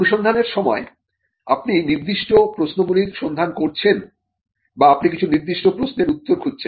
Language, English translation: Bengali, Now, during the search, you are looking for certain questions, or you are looking for answers to certain questions